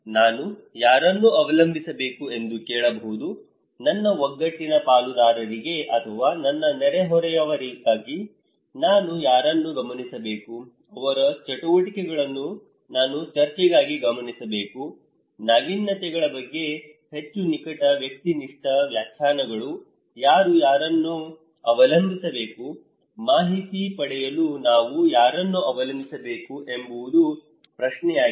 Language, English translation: Kannada, For hearing, whom I should depend; to my cohesive partners or my neighbourhoods, for observations whom I should observe, whose activities I should observe for discussions, more intimate subjective interpretations about the innovations, whom should I depend on so, the question is to whom we should depend for acquiring information